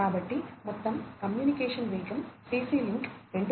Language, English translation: Telugu, So, overall the communication speed is quite varied in CC link 2